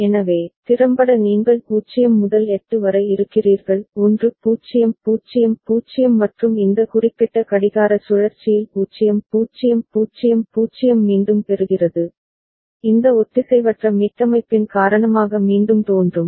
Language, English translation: Tamil, So, effectively you are having 0 to 8; 1 0 0 0 and in this particular clock cycle 0 0 0 0 is again getting, again appearing because of this asynchronous reset